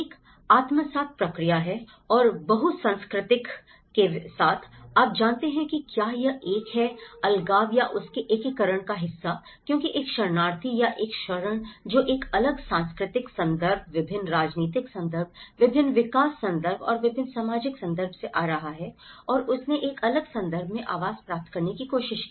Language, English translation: Hindi, One is an assimilation process and with the multiculturalism, you know, whether it is a segregation or an integration part of it because a refugee or an asylum who is coming from a different cultural context, different political context, different development context and different social context and he tried to get accommodation in a different context